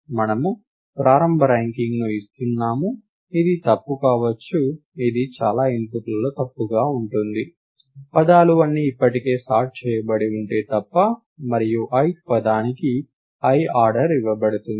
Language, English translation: Telugu, And we are giving a initial ranking which is could be wrong which will be wrong on most inputs like unless the words are all already sorted, and the ith word is given the order i